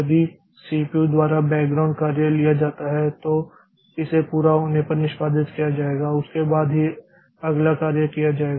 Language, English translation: Hindi, That is if a background job is taken by the CPU then it is executed to its completion then only the next job will be taken up